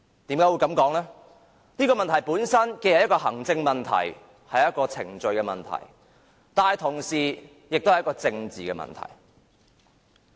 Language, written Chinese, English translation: Cantonese, 因為它本身既是行政問題、程序問題，但同時也是一個政治問題。, It is because the problem itself is an administrative issue a procedural matter and also a political problem